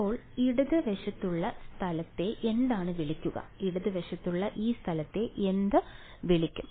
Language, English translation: Malayalam, So, the left hand side space is what would be called, what would be called the this the space on the left hand side